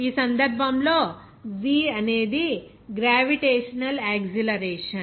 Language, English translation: Telugu, In this case, g is gravitational acceleration